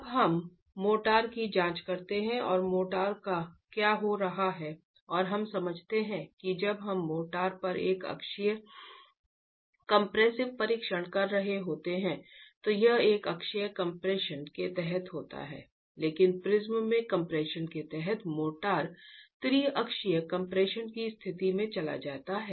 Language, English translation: Hindi, Now let's examine motor and what's happening to motor and we understand that when we are doing a uniaxial compressive test on the motor, it's under uniaxial compression but in the prism under compression the motor goes into the state of triaxil compression